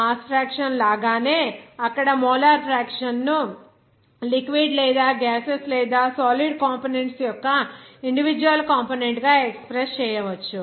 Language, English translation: Telugu, In the similar fashion of that mass fraction, you can also express the molar fraction or individual component of liquid or gaseous or solid components there